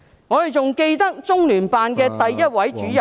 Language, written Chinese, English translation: Cantonese, 我們還記得，中聯辦首位主任......, We also remember that the first Director of LOCPG